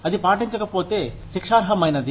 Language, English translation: Telugu, That, if not followed, can be punishable